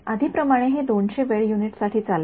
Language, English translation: Marathi, And as before run it for 200 time units